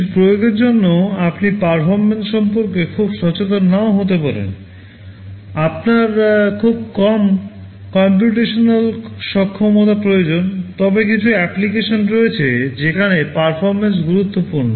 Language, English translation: Bengali, For some application you are may not be that much aware about the performance, you need very little computational capability, but there are some applications where performance is important